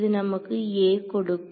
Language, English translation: Tamil, So, this gives us a